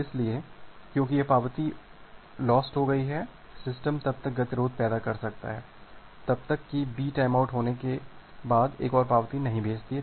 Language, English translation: Hindi, So, because this acknowledgement got lost, the system can lead to a deadlock unless B sends another acknowledgement after it gets a timeout